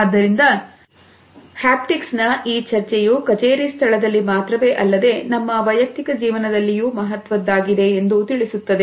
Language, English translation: Kannada, So, this discussion of haptics tells us of it is significance in the workplace, in our personal life also